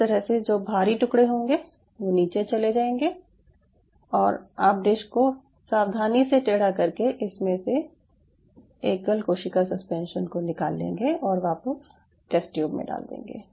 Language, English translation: Hindi, you know they will fall down at the base and you can tilt the dish very gently and you can aspire it out the single cell suspension and put it back in the test tube